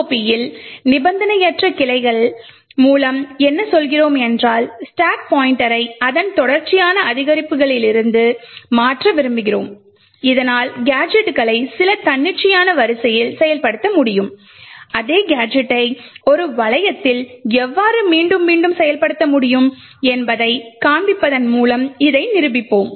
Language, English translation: Tamil, So what do we mean by unconditional branching in ROP is that we want to change stack pointer from its sequential increments so that gadgets can be executed in some arbitrary order, we will demonstrate this by showing how the same gadget can be executed over and over again in a loop